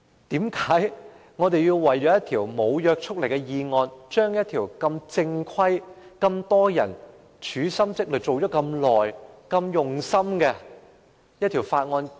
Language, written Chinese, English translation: Cantonese, 為何我們要為了一項無約束力的議案，擱置一項眾人用心研究已久的正規法案？, Why do we have to suspend a proper bill which has been conscientiously studied by many people for a long time for the sake of a non - binding motion?